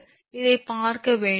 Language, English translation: Tamil, So, do not look into this